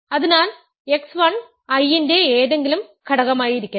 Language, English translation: Malayalam, So, let x 1 be any element of I